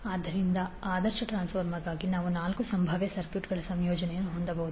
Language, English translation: Kannada, So we can have four possible combinations of circuits for the ideal transformer